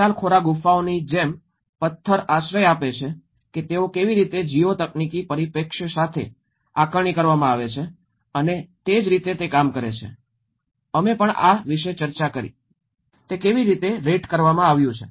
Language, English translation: Gujarati, Like Pitalkhora caves, the rock shelters how they have been assessed with the GEO technological perspective and similarly, we also discussed about, How it has been rated